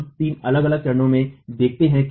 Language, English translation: Hindi, We look at three different stages